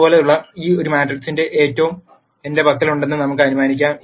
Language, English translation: Malayalam, Let us assume that I have a matrix such as this